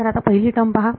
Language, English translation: Marathi, So, first term over here